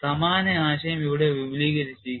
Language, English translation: Malayalam, Similar idea is extended here